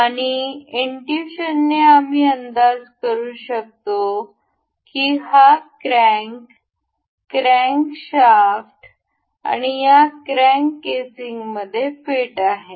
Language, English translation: Marathi, And by intuition we can guess this crank crankshaft is supposed to be fit into this crank casing